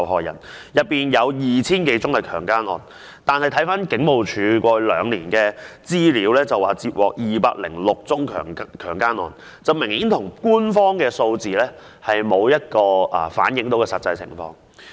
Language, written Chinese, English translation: Cantonese, 然而，回看警務處過去兩年的資料，曾接獲的強姦案有206宗，官方數字明顯沒有反映實際情況。, Nevertheless if we look at the police figures over the past two years only 206 rape cases were registered . Obviously the official figures were not reflecting the actual situation